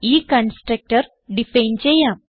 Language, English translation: Malayalam, So let us define the constructor